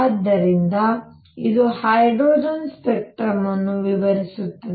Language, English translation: Kannada, So, it will explain hydrogen spectrum